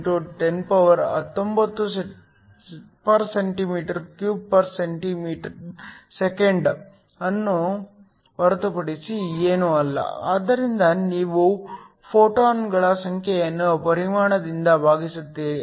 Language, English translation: Kannada, 17 x 1019 cm 3 S 1, so you just dividing the number of photons by the volume